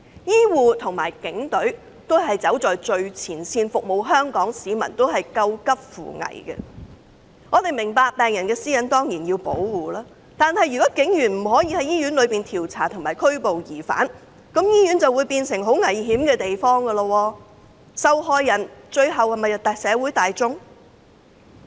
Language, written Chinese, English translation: Cantonese, 醫護與警隊均走在最前線服務香港市民，他們都在救急扶危。我們明白，我們當然需要保護病人私隱，但如警員不可在醫院內進行調查及拘捕疑犯，醫院便會變成很危險的地方，最終受害的是社會大眾。, We understand that we certainly need to protect patient privacy but if police officers cannot conduct investigations and arrest suspects in hospitals hospitals will become very dangerous places and the ultimate victims will be the general public